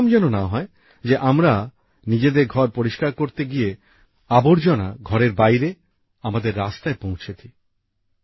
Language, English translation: Bengali, It should not be that we clean our house, but the dirt of our house reaches outside, on our roads